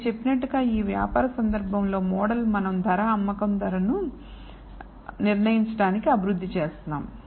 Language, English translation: Telugu, Like I said in the business case we are developing the model in order to determine set the price selling price of the thing